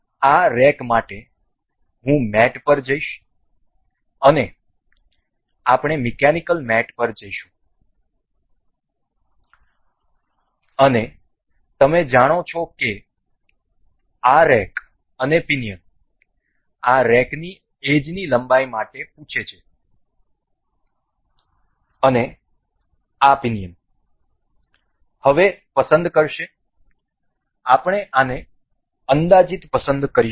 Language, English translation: Gujarati, So, for this rack I will go to mate and we will go to mechanical mates, and this rack and pinion as you know this asks for this rack edge length and this pinion will select for now we will select this approximately